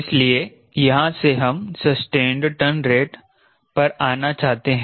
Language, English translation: Hindi, so from here we want to come to sustained turn rates